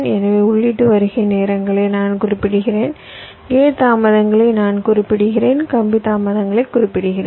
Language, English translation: Tamil, so i specify the input arrival times, i specify the gate delays, i specify the wire delays